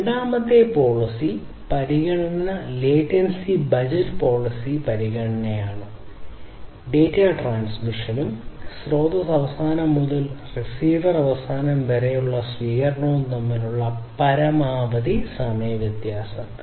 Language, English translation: Malayalam, The second policy consideration is the latent latency budget policy consideration; which is the maximum time difference between the data transmission and reception from source end to the receiver end